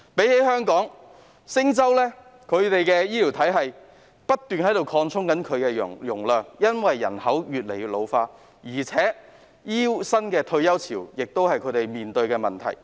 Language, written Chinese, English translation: Cantonese, 與香港相比，新加坡的醫療體系的容量正在不斷擴充，以回應人口老化，而他們亦要面對醫護新一輪的退休潮。, In comparison with Hong Kong the capacity of the healthcare system of Singapore is constantly expanding in response to the ageing population . Besides they are facing another wave of retirement of healthcare workers